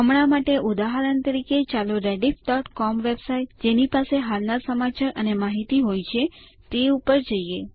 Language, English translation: Gujarati, For now, as an example, let us go to Rediff.com website that has the latest news and information